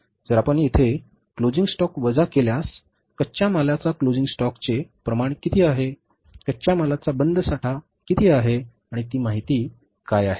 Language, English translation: Marathi, So if you subtract the closing stock here, what is the amount of the closing stock of raw material